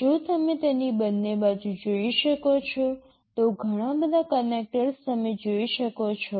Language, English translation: Gujarati, If you can see the two sides of it, there are so many connectors you can see